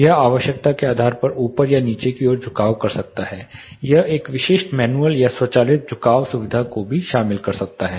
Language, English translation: Hindi, It can be upward or low you know downward tiltable depending on the requirement like you say in this example, it can also incorporate a specific manual or automatic tilting facility